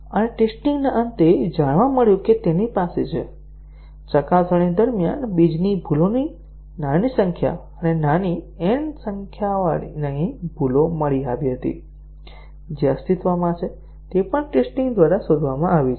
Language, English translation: Gujarati, And at the end of testing, it was found that it has; small s numbers of seeded bugs were discovered during testing and small n number of bugs, which existed, they have also been discovered by testing